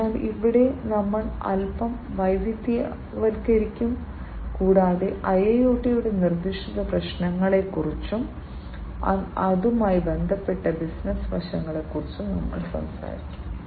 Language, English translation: Malayalam, So, there we will diversify a bit, and we will talk about the specific issues of IIoT, and the business aspects concerning it